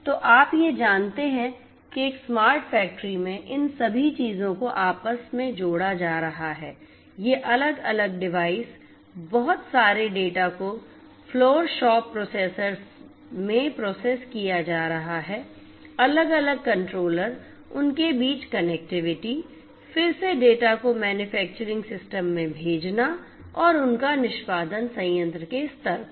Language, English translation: Hindi, So, you know in a smart factory all of these things are going to be interconnected, these different devices throwing in lot of data being processed in the shop floor different controllers connectivity between them, again sending the data to the manufacturing system and their execution at the plant level